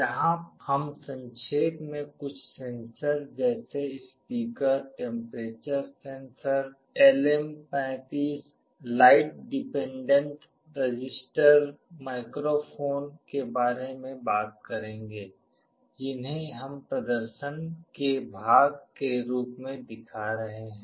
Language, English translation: Hindi, Here we shall be very briefly talking about some of the sensors like speaker, temperature sensor, LM35, light dependent resistor, microphone that we shall be showing as part of the demonstration